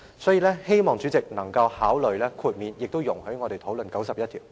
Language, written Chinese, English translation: Cantonese, 所以，希望主席能夠考慮豁免執行有關規定，亦容許我們討論第91條。, Therefore I hope that the President will consider waiving the relevant requirement and allow us to discuss RoP 91